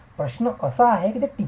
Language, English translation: Marathi, Question is how did it survive